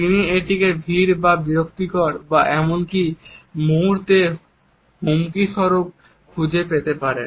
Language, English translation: Bengali, He may find it crowd or disturbing or even threatening at moments